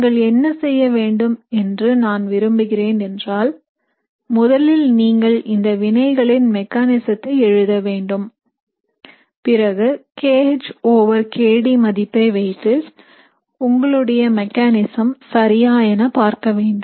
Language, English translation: Tamil, So what I would like you to do is I would like you to first write the mechanism for these reactions and then see based on the kH over kD value, is your mechanism correct, alright